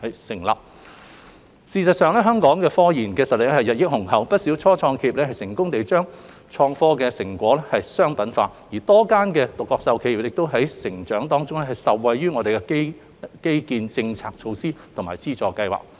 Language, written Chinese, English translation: Cantonese, 事實上，香港科研實力雄厚，不少初創企業成功將研發成果商品化，而多間獨角獸企業的成長亦受惠於本港的創科基建、政策措施及資助計劃等。, In fact Hong Kong enjoys tremendous strength in scientific research . Many start - ups have successfully commercialized their research and development outcomes while a few unicorns also benefited from Hong Kongs IT infrastructure policy measures and funding schemes etc